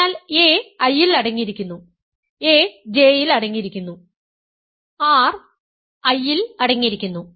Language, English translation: Malayalam, So, a is contained in I a is contained in J whereas, r is contained in I